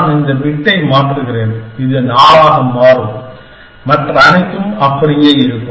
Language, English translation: Tamil, Supposing, I change this bit, this will become 4 everything else will remain the same